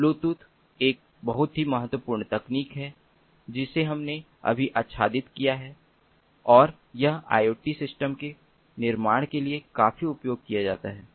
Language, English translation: Hindi, so the bluetooth is a very important technology that we have just covered and it is quite heavily used for building iot systems